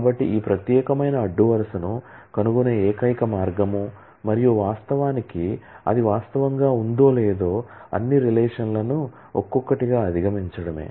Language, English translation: Telugu, So, the only way to find out this particular row and in fact, whether it actually exist would be to go over all the relations one by one